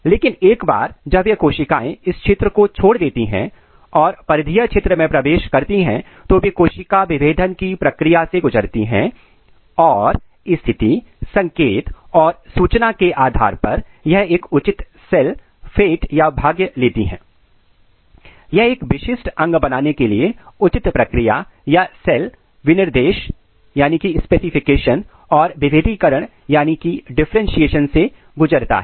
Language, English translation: Hindi, But once this cells leave this region and enter in the peripheral region then it undergo the process of cell differentiation and depending on the position, signal and information it takes a proper cell fate it undergo the proper process or cell specification and differentiation to make a specific organ